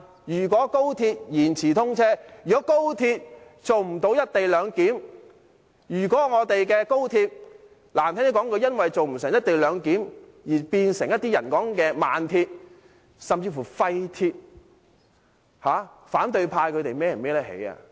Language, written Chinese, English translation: Cantonese, 如果高鐵延遲通車，如果高鐵做不到"一地兩檢"，如果我們的高鐵，難聽點說一句，因為做不到"一地兩檢"而變成某些人說的"慢鐵"，甚至"廢鐵"，反對派能負上這個責任嗎？, If the commissioning of XRL is to be delayed; if the co - location arrangement of XRL cannot be implemented; and if the failure to implement the co - location arrangement turns XRL into a slow - speed link or even a useless link as some people calls it can opposition Members bear the responsibility?